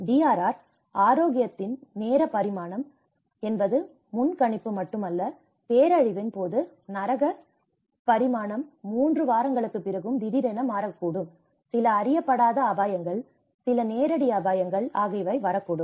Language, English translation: Tamil, The time dimension of health in DRR, so it is not only the predisaster, during disaster the hell dimension can abruptly change even after 3 weeks, some unknown risks, some direct risks